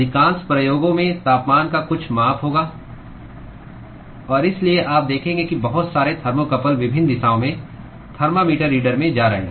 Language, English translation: Hindi, Most of the experiments will have some measurement of temperature; and so,you will see lots of thermocouples going in different directions into the thermometer reader